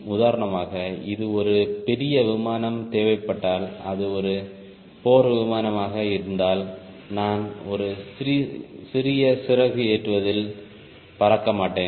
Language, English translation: Tamil, for example, if it is a fighter airplane where i need larger maneuver, i will not fly at a smaller wing loading